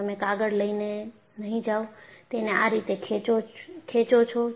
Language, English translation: Gujarati, You will not go and take the paper, and pull it like this